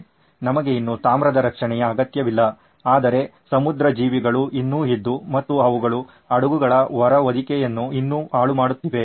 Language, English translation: Kannada, We did not need copper protection any more but marine life was still there and there were still ruining the ships hull